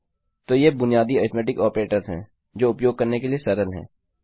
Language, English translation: Hindi, So, these are the basic arithmetic operators which are simple to use